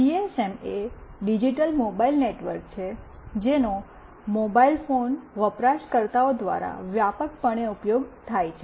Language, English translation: Gujarati, GSM is a digital mobile network that is widely used by mobile phone users